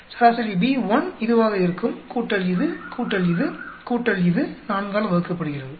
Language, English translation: Tamil, Average B1 will be this, plus this, plus this, plus this, divided by 4